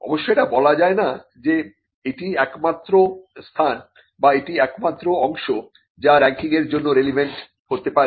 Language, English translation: Bengali, Now, this is not to say that this is the only place, or this is the only part which could be relevant for the ranking